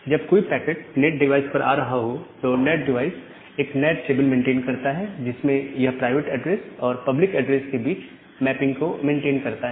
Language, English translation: Hindi, When the packet is coming to the NAT device the NAT device is maintaining this NAT table where it has maintained a mapping between with the private address and the public address